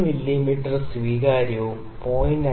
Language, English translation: Malayalam, 3 mm is acceptable and 0